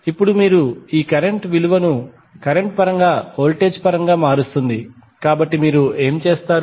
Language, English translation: Telugu, Now, you have written this value in terms of current converts them in terms of voltage, so what you will do